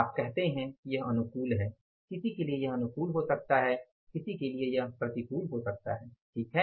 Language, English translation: Hindi, You call it is favorable, for somebody it may be favorable, for somebody it may be unfavorable, right